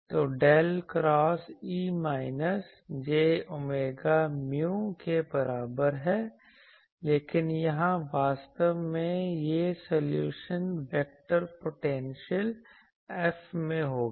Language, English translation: Hindi, So, del cross E is equal to minus j omega mu, but here since actually this solution will be in terms of the vector potential F actually